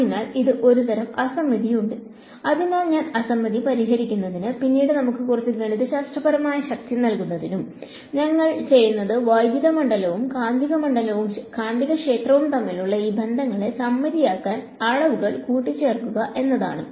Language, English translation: Malayalam, So, there is sort of asymmetry in it and so to fix this asymmetry to give us some mathematical power later on, what we do is we add to quantities to make these relations between electric field and magnetic field symmetric